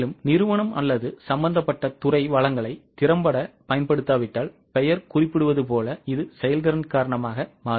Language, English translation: Tamil, As the name suggests, if company or the concerned department is not using the resources effectively, it will be the variance due to efficiency